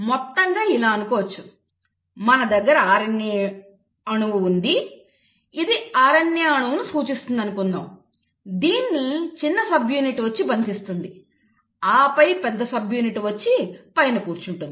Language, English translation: Telugu, So, it is like this; you have the RNA molecule, let us say this represents the RNA molecule, the small subunit comes and binds and then the big subunit will come and sit on top